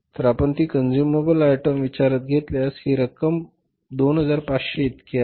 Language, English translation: Marathi, So, if you take that into account consumable items, this amount is how much